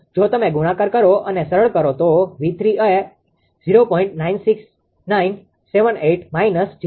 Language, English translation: Gujarati, If you multiply and simplify V 3 will become 0